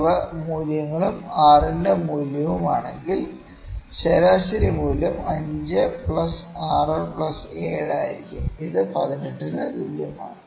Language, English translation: Malayalam, 4, if these are the values, and the value of r would be the mean value would be 5 plus 6 plus 7, this equal to 18